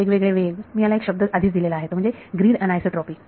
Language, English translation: Marathi, So, different speeds I am want to say I have already given the word away this is called grid anisotropy